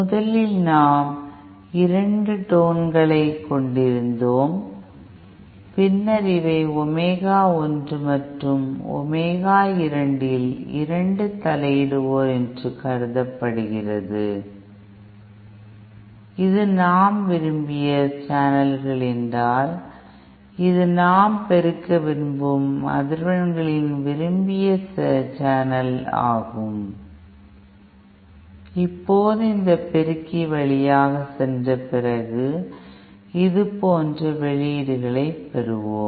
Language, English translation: Tamil, Suppose, originally we had our 2 tones and then this is supposed these are two interferers at omega one and omega 2 and say if this is our desired channels then say this is our desired channel of frequencies that we want to amplify